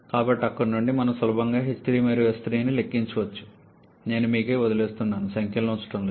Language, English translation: Telugu, So, from there we can easily calculate h 3 and S 3, I shall not be putting the numbers I am leaving it to up to you